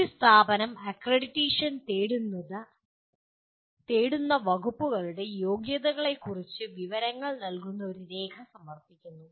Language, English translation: Malayalam, An institution submits a document providing information on eligibility of the departments seeking accreditation